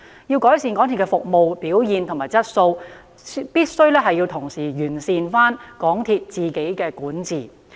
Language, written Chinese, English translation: Cantonese, 要改善港鐵的服務表現和質素，必須同時完善港鐵公司的管治。, In order to improve its service performance and quality MTRCL must enhance its corporate governance